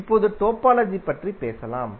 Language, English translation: Tamil, Now let us talk about the topology